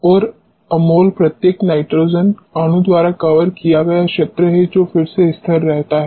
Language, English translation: Hindi, And A mol is the area covered by each nitrogen molecule which again remains fixed